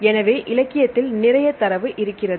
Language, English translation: Tamil, So, you have a wealth of data available in the literature